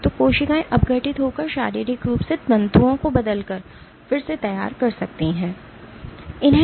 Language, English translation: Hindi, So, cells can remodel by degrading or by physically changing the fibrils